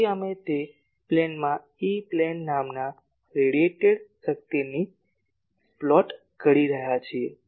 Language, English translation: Gujarati, So, we are plotting that radiated power in the plane called E plane